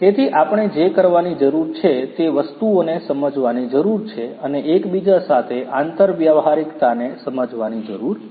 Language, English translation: Gujarati, So, so, what we need to do is to understand those things and also interoperability